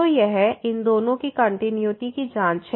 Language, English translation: Hindi, So, it is a continuity check of these two